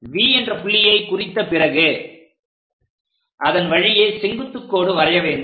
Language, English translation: Tamil, Once V is done, we can construct a perpendicular line passing through